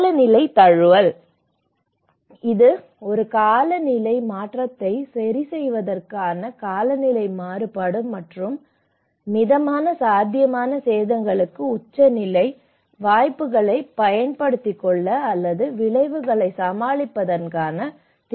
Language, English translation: Tamil, And climate adaptation; it refers to the abilities of a system to adjust to a climate change including climate variability and extremes to moderate potential damage, to take advantage of opportunities, or to cope up with the consequences